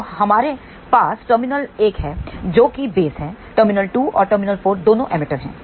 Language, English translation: Hindi, So, we have a terminal 1 which is base; terminal 2 and terminal 4 both are emitter